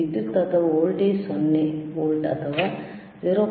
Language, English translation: Kannada, here tThe power is or voltage is 0 volts or 0